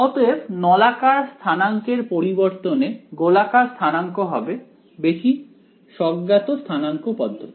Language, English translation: Bengali, So then the rather than cylindrical coordinates spherical coordinates is going to be the most intuitive coordinate system